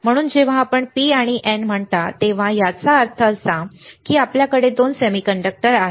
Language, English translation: Marathi, So, when you say P and N, that means, that you have two semiconductors